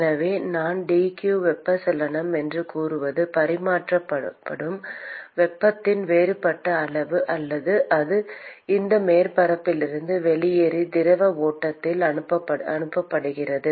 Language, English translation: Tamil, So, the supposing I call dq convection is the differential amount of heat that is exchanged or that that leaves this surface and is sent into the fluid stream